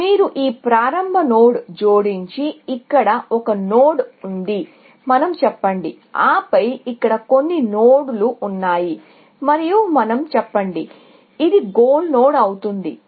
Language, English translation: Telugu, You add this start node and then, of course, there is one node here, let us say and then, some nodes here, and let us say, this happens to be a goal node